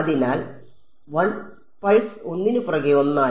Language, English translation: Malayalam, So, 1 pulse after the other